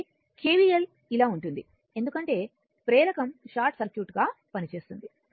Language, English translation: Telugu, So, if you apply KVL like this because inductor is acting as short circuit